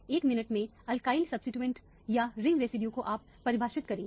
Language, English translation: Hindi, Alkyl substituent or ring residues you will define, what is alkyl substituent ring residue in a minute